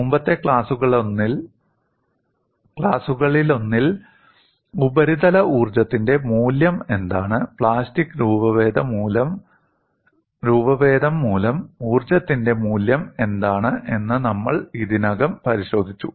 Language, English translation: Malayalam, We have already looked at, in one of the earlier classes, what is the value of surface energy, and what is the value of energy due to plastic deformation